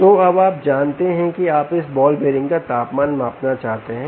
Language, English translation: Hindi, good, so now you know that you want to measure the temperature of this ball bearing